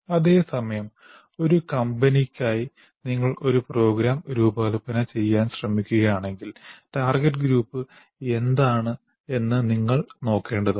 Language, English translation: Malayalam, Whereas if you try to design a program for a particular company, you will have to look at what the target group is